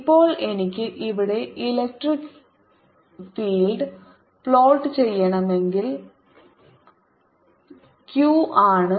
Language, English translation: Malayalam, now, if i want to plot, the electric field, here is q